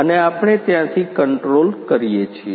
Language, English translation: Gujarati, And we control from there